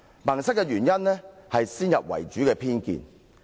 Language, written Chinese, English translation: Cantonese, "萌塞"的原因，是先入為主的偏見。, They are stubborn because they are prejudiced by preconceptions